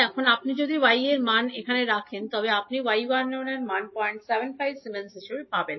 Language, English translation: Bengali, Now, if you put the value of y 12 here, you will get simply the value of y 11 as 0